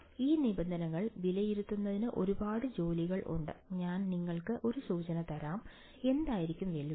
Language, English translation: Malayalam, There is a lot of a work that will go into evaluating these terms, I will give you just 1 hint, what the challenge will be